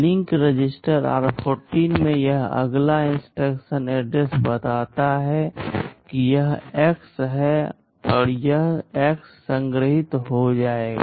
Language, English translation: Hindi, In the link register r14, this next instruction address let us say this is X, this X will get stored